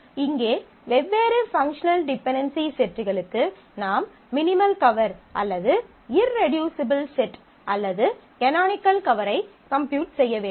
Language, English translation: Tamil, For here for the different sets, you have to compute the minimal cover or the irreducible set or canonical cover of the set of functional dependencies